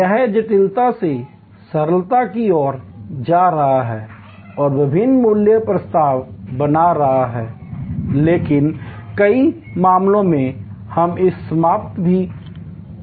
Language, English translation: Hindi, This is going from complexity to simplicity and creating different value proposition, but in many cases, we can even eliminate